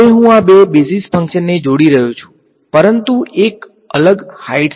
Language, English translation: Gujarati, Now, I am combining these two basis functions, but with a different height